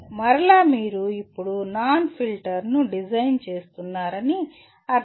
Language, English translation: Telugu, So again that means you are now designing a notch filter